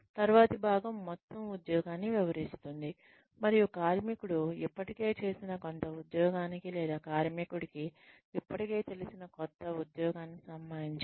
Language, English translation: Telugu, The next part is, explain the whole job, and related to some job, the worker has already done, or some job that, the worker already knows